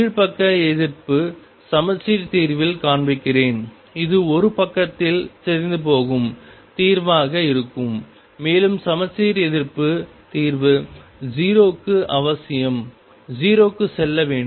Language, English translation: Tamil, And let me show on the lower side anti symmetric solution and that would be the solution decaying on one side and anti symmetric solution has to go to 0 necessarily through 0